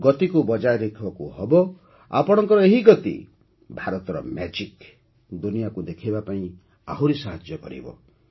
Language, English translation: Odia, So keep up the momentum… this momentum of yours will help in showing the magic of India to the world